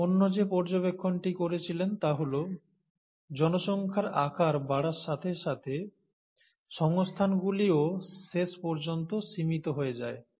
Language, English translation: Bengali, The other observation that he made is that, as a population grows in size, eventually, the resources become limited